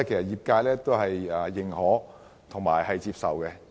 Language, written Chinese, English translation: Cantonese, 業界對此表示認可及接受。, The trade thinks that this is agreeable and acceptable